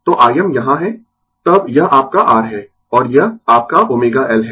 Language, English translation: Hindi, So, I m is here, then this is your R, and this is your omega L